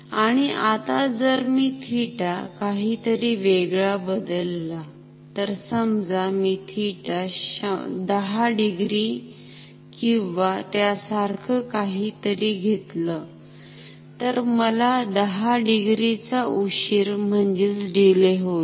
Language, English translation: Marathi, And now if I change theta to be something else, so if I take theta to be something like 10 degree or so, then I will have a delay of 10 degree maybe like this